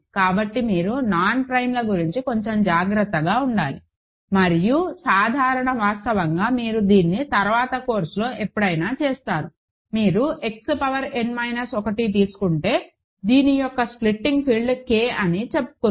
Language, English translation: Telugu, So, you have to be a bit careful about non primes and as a general fact you will do this in a later course sometime, the if you take X power n minus 1, the splitting field of this is K let us say